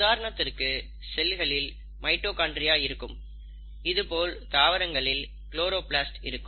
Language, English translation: Tamil, For example, the cell has mitochondria, the cell; in case of plants will have a chloroplast